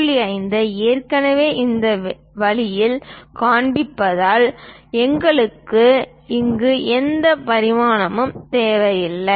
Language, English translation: Tamil, 5 in this way, we don't really require any dimension here